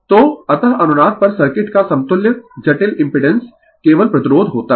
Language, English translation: Hindi, So, so, thus at resonance the equivalent complex impedance of the circuit consists of only resistance right